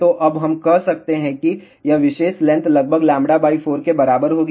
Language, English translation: Hindi, So, now, we can say that this particular length will be approximately equal to lambda by 4